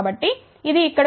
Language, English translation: Telugu, So, that comes over here